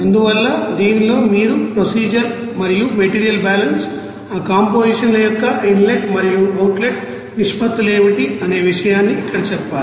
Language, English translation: Telugu, So, in this you have to tell procedure and the material balance and what will be the inlet and outlet proportions of that compositions are given here